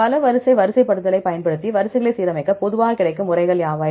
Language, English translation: Tamil, What are the methods commonly available to align the sequences using multiple sequence alignment